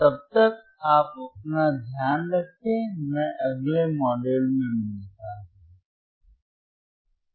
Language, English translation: Hindi, Till then, you take care, I will see in next module bye